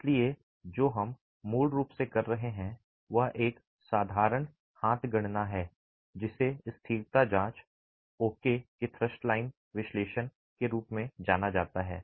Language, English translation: Hindi, So, what we are basically doing is a simple hand calculation referred to as thrust line analysis for stability check